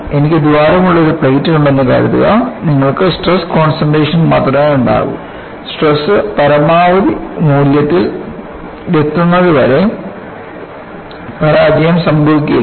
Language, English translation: Malayalam, Suppose, I have a plate with the hole; you will have only stress concentration, until the stresses reaches the maximum values failure will not happen